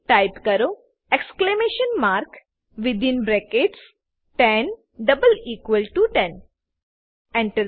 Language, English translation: Gujarati, Type Exclamation mark within brackets 10 double equal to 10 Press Enter